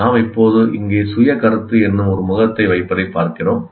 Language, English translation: Tamil, And we now look at, we put a face here what we call self concept